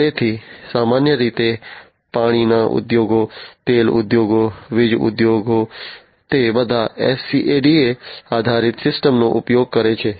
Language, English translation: Gujarati, So, typically you know water industries, oil industries, power generation industries etc, they all use SCADA based systems